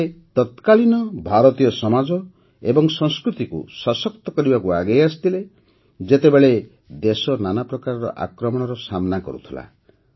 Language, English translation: Odia, She came forward to strengthen Indian society and culture when the country was facing many types of invasions